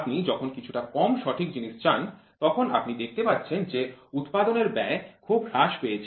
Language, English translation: Bengali, When you want something little less accurate, so then you can see the cost of the production falls down drastically